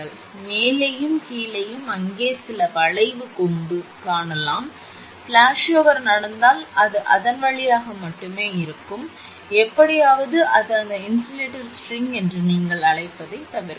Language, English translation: Tamil, So, on the top and the bottom, you will find some arc horn in there; if flashover take place it will be through that to only and somehow it will bypass what you call that insulator string